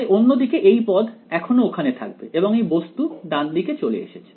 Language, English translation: Bengali, So, the other side this term will continue to be there and this guy moves to the right hand side